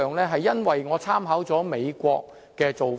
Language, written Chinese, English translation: Cantonese, 這是因為我參考了美國的做法。, Because I have drawn reference from the practice in the United States